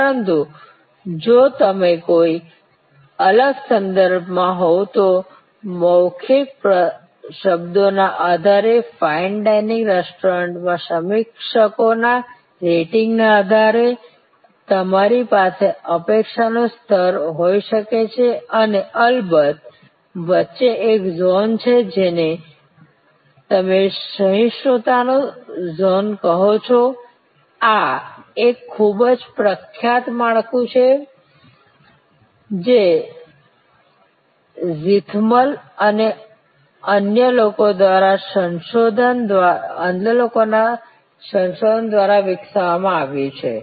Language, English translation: Gujarati, But, if you are in a different context then based on word of mouth, based on reviewers rating at a fine dining restaurant you may have this level of expectation and of course, there is a zone which is in between, which you called the zone of tolerance, this is a very famous framework developed by zeithaml others through their research